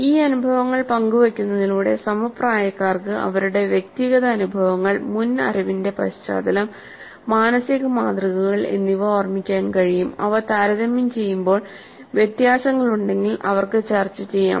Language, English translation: Malayalam, So by sharing these experiences, the peers can recall their own individual experiences, their own previous knowledge background, their own mental models, compare them and if there are differences they can discuss